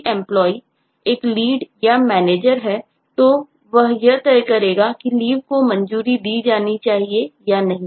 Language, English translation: Hindi, or if the employee is an, is a lead or a manager, then, eh, he or she would decide whether some leave should be approved or not